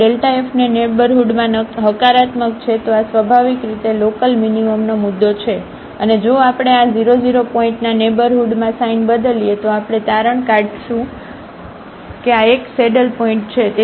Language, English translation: Gujarati, If this delta f is positive in the neighborhood then this is a point of local minimum naturally and if we changes sign in the neighborhood of this 0 0 point, then we will conclude that this is a saddle point